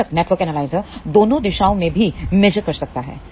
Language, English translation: Hindi, Of course, the network analyzer can do measurement in both the directions also